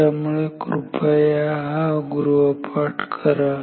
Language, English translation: Marathi, So, please do this homework